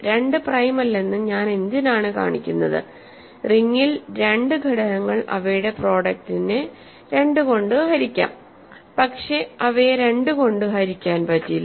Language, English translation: Malayalam, So, 2 is not prime, what do I need to show that 2 is not prime, I need to show that there are two elements in the ring whose product 2 divides but 2 does not divide it